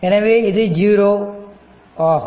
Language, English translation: Tamil, So, c is 0